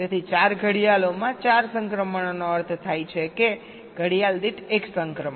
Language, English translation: Gujarati, so four transitions in four clocks, which means one transitions per clock